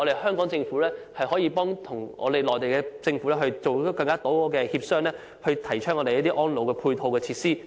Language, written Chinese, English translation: Cantonese, 香港政府可以與內地政府多進行協商，提供一些安老配套設施。, The Hong Kong Government may hold more discussions with the Mainland Government on the provision of support facilities for elderly care